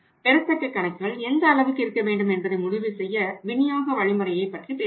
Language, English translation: Tamil, To decide the extent of the magnitude of the accounts receivables we will have to talk about think about the channel of distribution